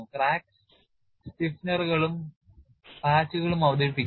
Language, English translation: Malayalam, Introduce crack stiffeners and patches